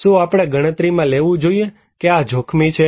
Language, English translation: Gujarati, Should we consider this is as risky